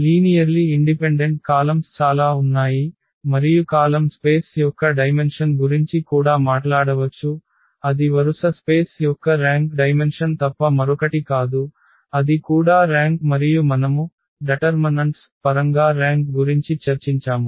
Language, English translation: Telugu, There was a number of linearly independent columns, and we can also talk about the dimension of the column space that is nothing but the rank dimension of the row space that also is the rank and we have also discussed the rank in terms of the determinants